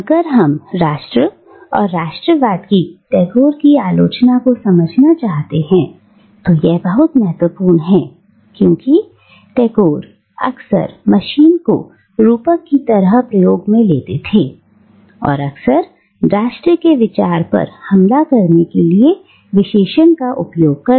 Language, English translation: Hindi, And this is crucial if we want to understand Tagore’s criticism of nation and nationalism because Tagore frequently uses the trope of machine and he uses the adjective mechanical, quite frequently, to attack the idea of nation